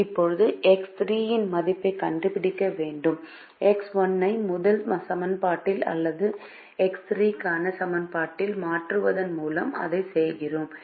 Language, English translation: Tamil, now we have to find out the value of x three and we do that by substituting for x one in the first equation or in the equation for x three